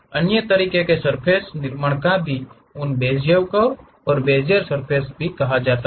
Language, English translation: Hindi, There are other ways of constructing surfaces also, those are called Bezier curves and Bezier surfaces